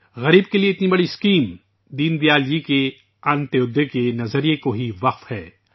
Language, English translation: Urdu, Such a massive scheme for the poor is dedicated to the Antyodaya philosophy of Deen Dayal ji